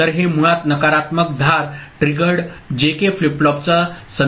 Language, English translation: Marathi, So, this is basically referring to negative edge triggered JK flip flop